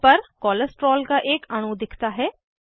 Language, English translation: Hindi, A molecule of Cholesterol is displayed on the panel